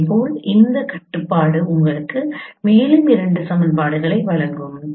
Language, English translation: Tamil, Similarly this point this constraint will give you another two equations